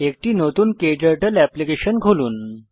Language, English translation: Bengali, KTurtle application opens